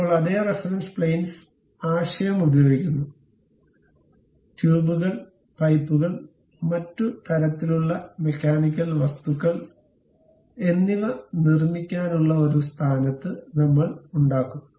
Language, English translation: Malayalam, Now, using the same reference planes concept; we will be in a position to construct tubes, pipes and other kind of mechanical objects